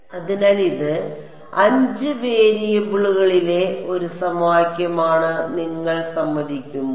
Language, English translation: Malayalam, So, will you agree that this is one equation in 5 variables